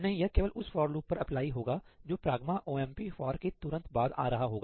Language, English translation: Hindi, No no no, this only applies to the for loop appearing immediately after ‘hash pragma omp for’